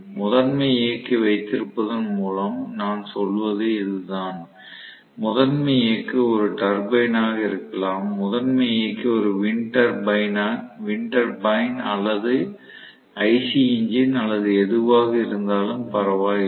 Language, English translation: Tamil, That is what I mean by having a prime mover, the prime mover can be a turbine, the prime mover can be a winter bine or IC engine or whatever does not matter, but it can also be gravitational pull